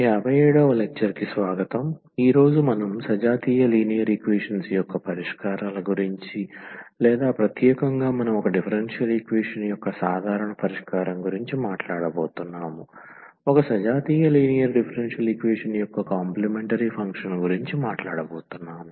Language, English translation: Telugu, Welcome back, this is lecture number 57 and today we will be talking about the Solutions of Homogeneous Linear Equations or in particular we are talking about the complementary function that is nothing but the general solution of a differential equation, a homogeneous linear differential equation